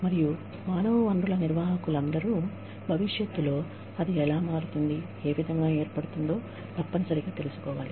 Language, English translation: Telugu, And, I feel, all human resource managers, should know, how it is going to shape up, how it is likely to shape up, in the future